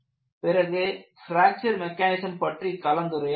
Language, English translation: Tamil, Now, we move on to fracture mechanisms